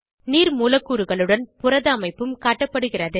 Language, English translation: Tamil, The protein structure is also shown with water molecules